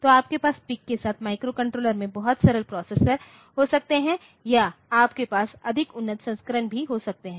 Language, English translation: Hindi, So, you can have very simple process in my microcontroller with PIC or you can have more advanced versions so